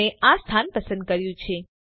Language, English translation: Gujarati, I have selected this location